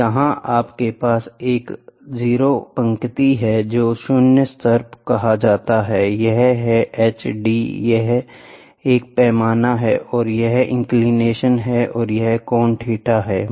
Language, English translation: Hindi, So, I here you have a 0 line this is called a zero level h d this is a scale here and here is the inclination which is there and this is the angle theta